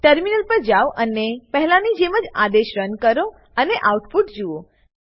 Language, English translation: Gujarati, Switch to the terminal and run the command like before and see the output